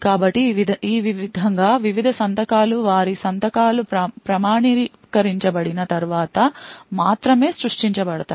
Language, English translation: Telugu, So in this way various tasklet are created only after their signatures are authenticated